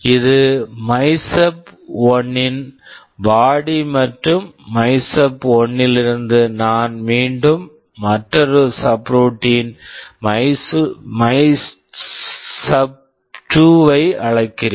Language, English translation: Tamil, This is the body of MYSUB1 and from MYSUB1, I am again calling another subroutine MYSUB2